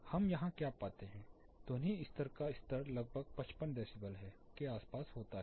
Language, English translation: Hindi, What we find here, the sound pressure level somewhere varies around 55 decibels, dBA here